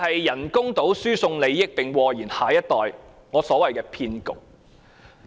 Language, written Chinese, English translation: Cantonese, 人工島輸送利益或禍延下一代，我因此稱之為騙局。, The transfer of benefits in the artificial island project might affect the next generation so I call it a swindle